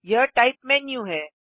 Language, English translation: Hindi, This is the Type menu